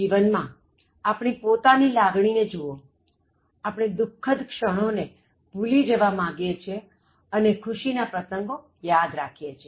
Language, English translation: Gujarati, In life, if you look at our own emotions, we tend to forget sad moments, but we would like to cherish happy occasions